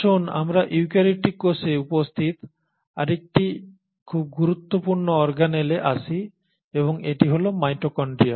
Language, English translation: Bengali, Now let us come to another very important organelle which is present in eukaryotic cell and that is the mitochondria